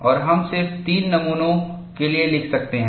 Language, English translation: Hindi, And we may write, just for three specimens